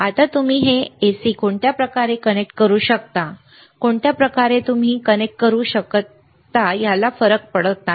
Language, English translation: Marathi, Now this you can connect in any way it is AC, you can connect in any anyway does not matter